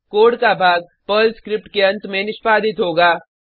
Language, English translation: Hindi, These blocks get executed at various stages of a Perl program